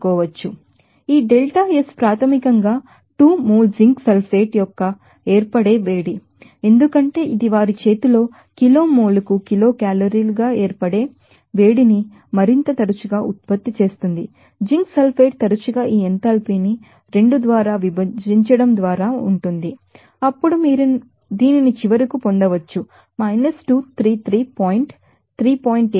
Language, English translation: Telugu, So, this delta S is basically heat of formation of 2 mole of zinc sulfate, since it is produced to more often self at their hands heat of formation in kg more kilo calorie per kg mole off you know zinc sulfate can be often just by dividing this enthalpy by 2 then you can get this up finally 233 point 3